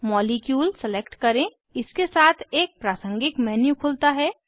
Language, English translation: Hindi, Select Molecule a contextual menu opens alongside